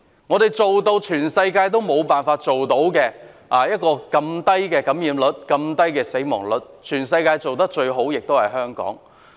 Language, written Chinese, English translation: Cantonese, 我們做到世界各地均無法做到的事，能維持這麼低的感染率及死亡率，在全世界中做得最好的就是香港。, We are able to achieve what other places in the world cannot achieve maintaining such low infection and fatality rates . Hong Kong has done the best in the world